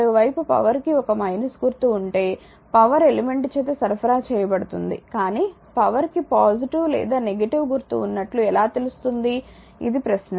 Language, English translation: Telugu, And if on the other hand the power has a minus sign right that is power is being supplied by the element so, but, but how do we know when the power has a positive or a negative sign right; so, this is the question